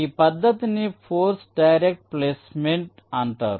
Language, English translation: Telugu, this method is called force directed placement